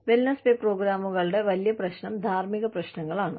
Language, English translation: Malayalam, The big problem with wellness pay programs, is the ethical issues